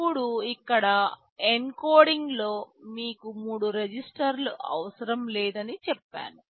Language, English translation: Telugu, Now, here in the encoding I said you do not need three registers